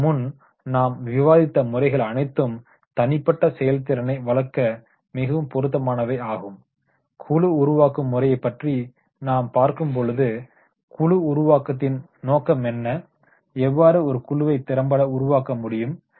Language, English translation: Tamil, Now you see the earlier methods which we have discussed those methods were very appropriate for the individual performance but when we have we about the group building methods, then in the group building methods, the purpose is that is the how team and group can be made effective